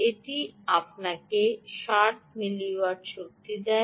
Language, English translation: Bengali, this should give you sixty milliwatt right of power